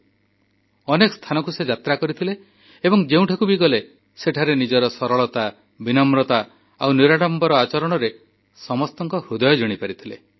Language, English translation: Odia, And wherever he went he won hearts through his straightforwardness, humility and simplicity